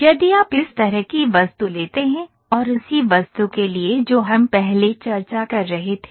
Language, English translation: Hindi, If you take an object like this and for the same object what we were we were discussing prior